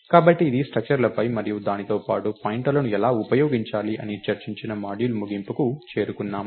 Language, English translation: Telugu, So, this brings us to the end of module on the structures and how to use pointers along with it